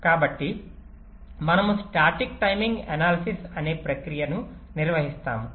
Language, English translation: Telugu, so we perform a process called static timing analysis